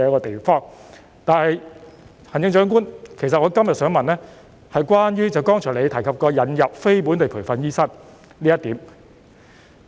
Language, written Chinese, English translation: Cantonese, 不過，行政長官，其實我今天想問的是關於你剛才提及引入非本地培訓醫生這一點。, Nevertheless Chief Executive my question today in fact relates to the admission of non - locally trained doctors that you have mentioned a short while ago